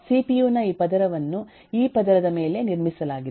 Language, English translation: Kannada, this layer of cpu is built on top of this layer